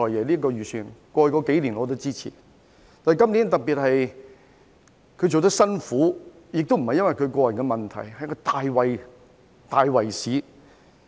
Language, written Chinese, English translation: Cantonese, 然而，他今年的工作做得特別辛苦，不是因為個人問題，而是大圍市況。, However his work is particularly difficult this year not because of him but the overall market conditions